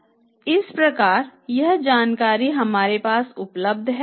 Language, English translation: Hindi, So, we have this information